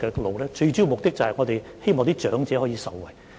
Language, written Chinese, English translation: Cantonese, 我們最主要的目的是希望長者可以受惠。, Our chief objective is to benefit the elderly